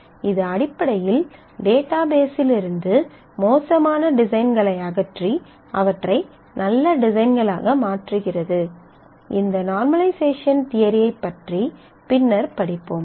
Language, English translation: Tamil, So, it basically removes bad designs from the database and converts them into good designs; we will talk about this normalization theory later in the course